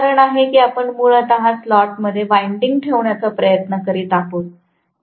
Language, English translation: Marathi, And that is the reason why we are trying to put the windings throughout the slot basically